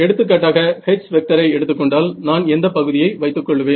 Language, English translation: Tamil, So, H for an example which term will I keep